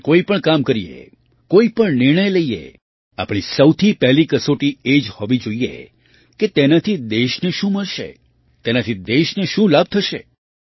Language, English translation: Gujarati, Whatever work we do, whatever decision we make, our first criterion should be… what the country will get from it; what benefit it will bring to the country